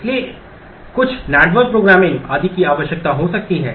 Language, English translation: Hindi, It might require some network programming and so on